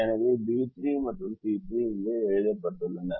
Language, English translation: Tamil, so b three and c three is written here